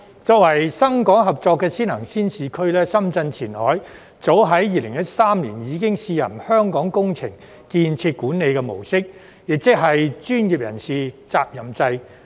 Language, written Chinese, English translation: Cantonese, 作為深港合作的先行先試區，深圳前海早在2013年已經試行"香港工程建設管理"模式，亦即是"專業人士責任制"。, As an early and pilot implementation zone for Shenzhen - Hong Kong cooperation Qianhai of Shenzhen has tried out the Hong Kongs management mode ie . an accountability regime of professionals as early as 2013